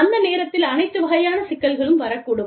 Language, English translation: Tamil, And, i mean, you know, all kinds of problems, could come up at that time